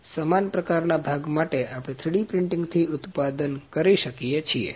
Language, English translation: Gujarati, So, same kind of job, we can manufacture with 3D printing